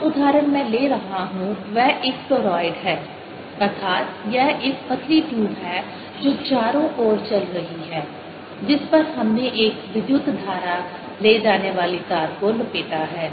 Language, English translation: Hindi, the example i take is that of a turoide, that is, it is a thin quab which is running around on which we have wrapped a current carrying wire, if you like